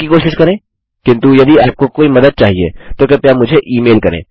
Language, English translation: Hindi, Try them but if you do need any help, please email me